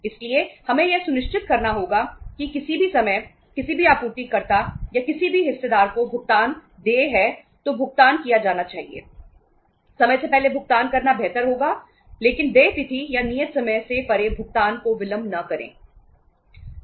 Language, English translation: Hindi, So we have to be sure that anytime if any payment is due to be made to any of the suppliers or any of the stakeholders, that should be made, it is better to make the payment before time but never delay the payment beyond the due date or the due time